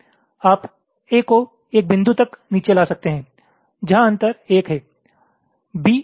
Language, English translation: Hindi, a you can move down up to a point where there is a gap of one